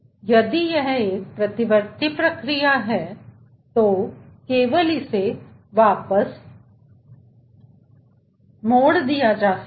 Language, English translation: Hindi, if it is a reversible process, then only it can be diverted back